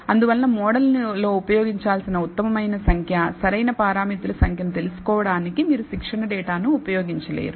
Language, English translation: Telugu, Therefore, you cannot use the training data set in order to find out the best number of, optimal number of, parameters to use in the model